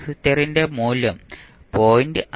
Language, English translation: Malayalam, The value of capacitor is 0